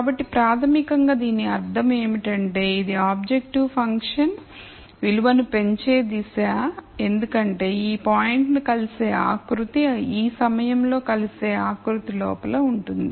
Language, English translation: Telugu, So, basically what that means, is because this is the direction of increasing objective function value the contour intersecting this point is inside the contour intersect ing at this point